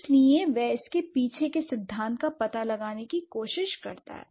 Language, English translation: Hindi, So, she tries to find out the principle behind it